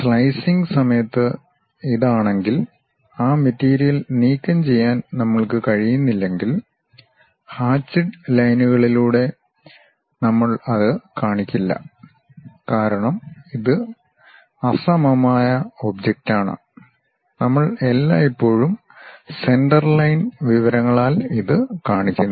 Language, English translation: Malayalam, If this during the slicing, if we are not in a position to remove that material then we do not show it by hatched lines; because this is a symmetric object we always show it by center line information